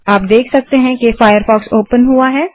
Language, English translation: Hindi, Now you can see that firefox is open